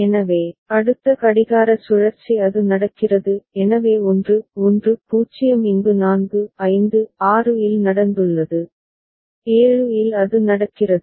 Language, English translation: Tamil, So, the next clock cycle it is happening; so 1 1 0 has taken place over here in 4 5 6 and in 7 it is happening